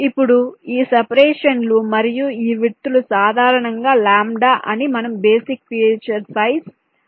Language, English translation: Telugu, now, these separations and these width, these are typically specified in terms of the basic feature size we refer to as lambda